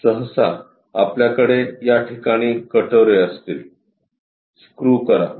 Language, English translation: Marathi, Usually, we will be having bowls here, screw it